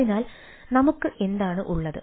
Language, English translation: Malayalam, so we what we have